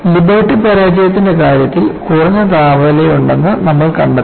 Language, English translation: Malayalam, And in the case of Liberty failure, you found that there was low temperature